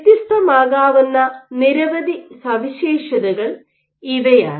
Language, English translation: Malayalam, These are several of the properties that can be varied